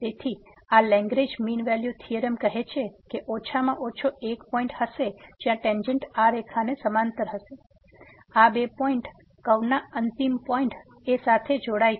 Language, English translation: Gujarati, So, this Lagrange mean value theorem says that there will be at least one point where the tangent will be parallel to this line segment joining these two points, the end points of the curve